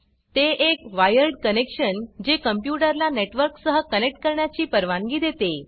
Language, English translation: Marathi, It is a wired connection that allows a computer to connect to a network